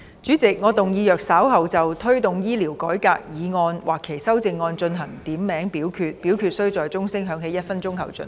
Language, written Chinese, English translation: Cantonese, 主席，我動議若稍後就"推動醫療改革"所提出的議案或其修正案進行點名表決，表決須在鐘聲響起1分鐘後進行。, President I move that in the event of further divisions being claimed in respect of the motion on Promoting healthcare reform or any amendments thereto this Council do proceed to each of such divisions immediately after the division bell has been rung for one minute